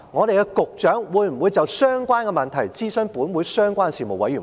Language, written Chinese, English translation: Cantonese, 局長會否就相關問題諮詢本會相關的事務委員會？, Will the Secretary consult the relevant panel of this Council on this issue?